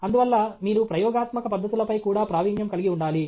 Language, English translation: Telugu, Therefore, you should have mastery of experimental techniques also